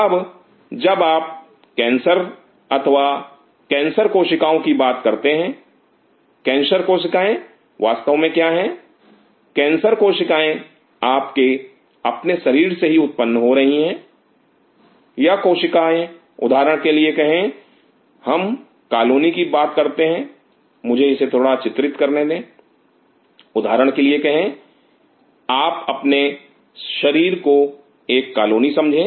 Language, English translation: Hindi, Now, when you talk about carcinoma or cancer cells; what are really cancer cells are cancer cells are originating from your own body these cells say for example, we talk about a colony let me draw it something say for example, you consider your body as colony